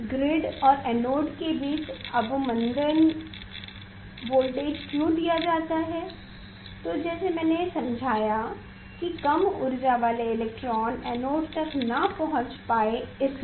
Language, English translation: Hindi, Retarded voltage between the grid and anode why it is given I explained that with small energy electron will not be able to reach to the anode